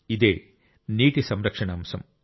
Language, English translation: Telugu, It is the topic of water conservation